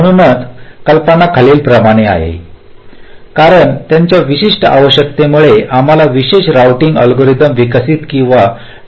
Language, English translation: Marathi, ok, so the motivation is as follows: because of their very specific requirements, so we want to develop or formulate specialized routing algorithms